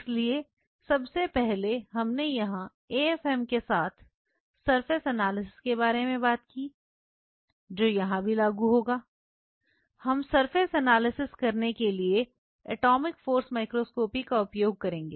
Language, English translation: Hindi, So, first of all we talked about surface analysis with an AFM here also that will apply, we will be using atomic force microscopy to analyze the surface